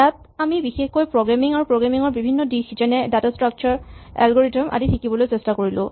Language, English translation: Assamese, In particular here we were trying to learn programming and various aspects of programming data structures, algorithms